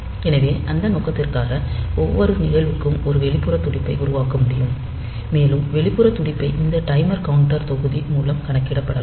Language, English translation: Tamil, So, for that purpose, so every event, so that can generate an external pulse, and that external pulse maybe counted by this timer counter module